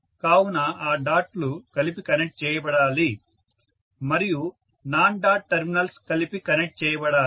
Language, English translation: Telugu, So the dots have to be connected together and the non dot terminals have to be connected together